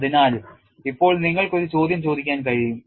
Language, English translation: Malayalam, So, now you can ask a question